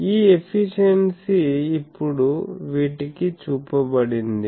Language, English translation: Telugu, So, this efficiency is now shown to these